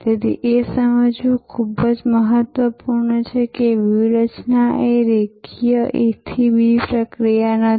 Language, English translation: Gujarati, So, therefore, very important to understand that strategy is not a linear A to B process